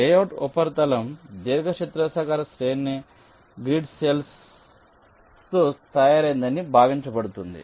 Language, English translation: Telugu, it says that the layout surface is assumed to be made up of a rectangular array of grid cells